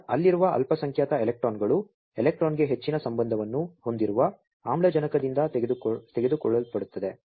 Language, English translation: Kannada, So, the minority electrons that are there, those are taken up by the oxygen which have higher affinity towards the electron